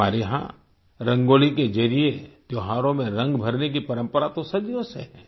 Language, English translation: Hindi, For centuries, we have had a tradition of lending colours to festivals through Rangoli